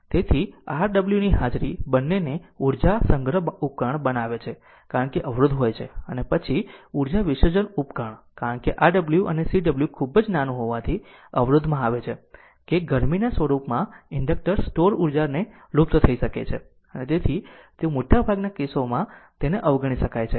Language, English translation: Gujarati, So, the presence of Rw makes both an energy storage device because resistance is there and then energy dissipation device right because, inductor store energy can be dissipated in the form of a heat say in the resistor since Rw and Cw are very very small and hence they can be ignored right in most of the cases so we will ignore that